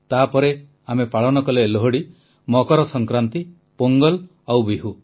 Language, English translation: Odia, Then we celebrated Lohri, Makar Sankranti, Pongal and Bihu